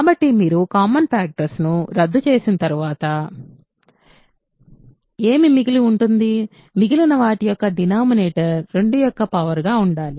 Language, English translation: Telugu, So, after you cancel the common factors, what remains; denominator of what remains should be a power of 2